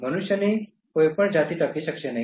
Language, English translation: Gujarati, No species of human beings will survive